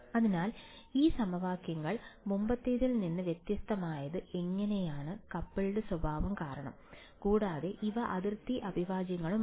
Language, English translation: Malayalam, So, how these equation for different from previous ones was because of the coupled nature and also these are boundary integrals